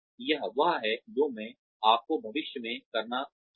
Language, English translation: Hindi, This is what, I would like you to do in future